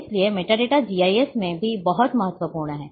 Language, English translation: Hindi, So, metadata is very, very important in GIS too